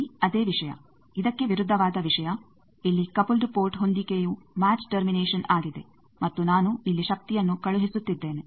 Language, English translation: Kannada, Same thing here, the opposite thing here the coupled port is matched, is a match termination and I am sending the power here